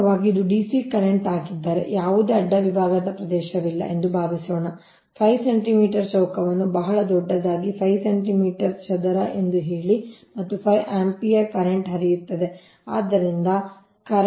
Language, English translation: Kannada, suppose cross sectional area is, say five centimeters square for a cond, a very large of course, five centimeter square, and say five ampere current is flowing